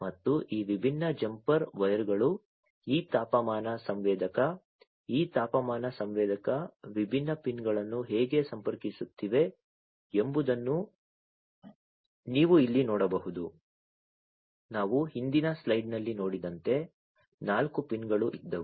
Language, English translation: Kannada, And also you can see over here how these different jumper wires are connecting this temperature sensor, this temperature sensor, the different pins, there were four pins as we have seen in the previous slide